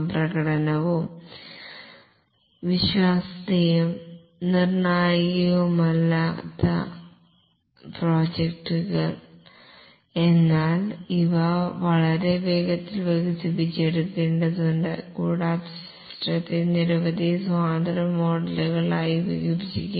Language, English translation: Malayalam, The projects for which the performance and reliability are not critical, but these are required to be developed very fast and the system can be split into several independent modules